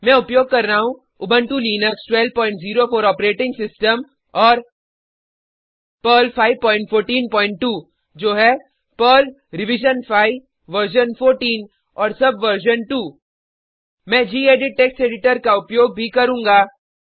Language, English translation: Hindi, In this tutorial, we will learn about Variables in Perl I am using Ubuntu Linux12.04 operating system and Perl 5.14.2 that is, Perl revision 5 version 14 and subversion 2 I will also be using the gedit Text Editor